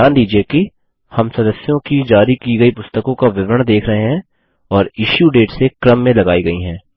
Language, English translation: Hindi, Notice that, we see a history of books issued to members and ordered by Issue Date